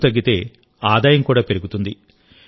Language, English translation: Telugu, Since the expense has come down, the income also has increased